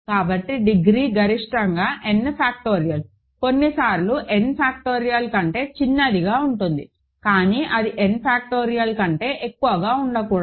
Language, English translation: Telugu, So, the degree is at most n factorial, it can be smaller sometimes than n factorial, but it cannot be more than n factorial